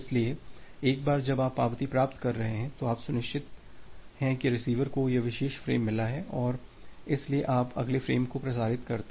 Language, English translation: Hindi, So, once you are receiving the acknowledgement, you are sure that the receiver has received this particular frame and so, you transmit the next frame